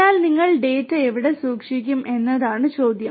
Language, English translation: Malayalam, But the question is where do you store the data